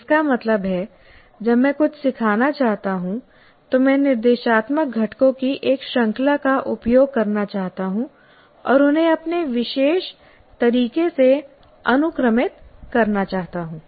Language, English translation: Hindi, That means when I want to teach something, I may want to use a series of instructional components and sequence them in my own particular way